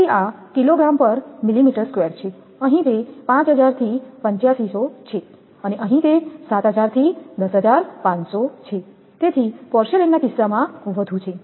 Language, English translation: Gujarati, So, this is kgf per millimeter square here it is 5000 to 8500 and here, it is 7000 to 10500 so porcelain case is high